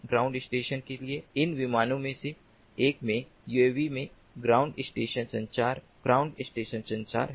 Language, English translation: Hindi, ground station communication from a uav in one of these planes to the ground station is ground station communication